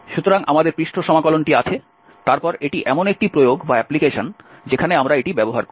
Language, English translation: Bengali, So, we have the surface integral then this is one of the applications where we use this